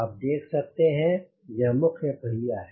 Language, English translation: Hindi, you can see this is the main wheel